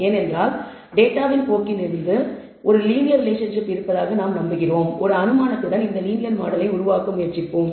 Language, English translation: Tamil, Now we want to build this linear relationship, because from the trend of the data we believe a linear relationship exists let us go ahead with an assumption and just try to build this linear model